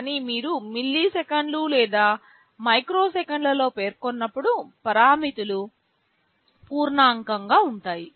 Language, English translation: Telugu, But, when you specify in milliseconds or microseconds, the parameters will be integer